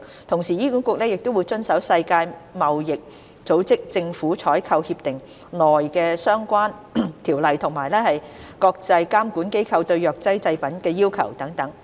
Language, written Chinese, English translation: Cantonese, 同時，醫管局亦會遵守《世界貿易組織政府採購協定》內相關的條例及國際監管機構對藥劑製品的要求等。, Such procurements are also in compliance with the relevant provisions of the World Trade Organization Agreement on Government Procurement as well as the international regulatory requirements for pharmaceutical products etc